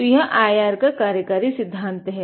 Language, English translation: Hindi, So, this is about the working principle of the IR